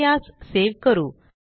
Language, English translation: Marathi, Let us save it